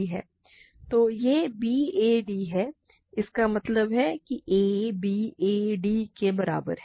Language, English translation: Hindi, So, this is b a d; that means, a is equal to b a d